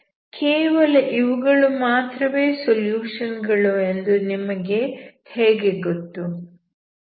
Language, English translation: Kannada, So how do you know that these are the only solutions